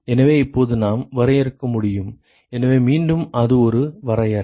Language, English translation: Tamil, So now we can define, so again it is a definition